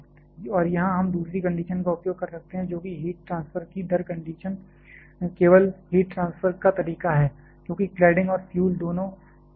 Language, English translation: Hindi, And here we can use the second condition that is the rate of heat transfer conduction is only the mode of heat transfer here because both fuel and cladding are solids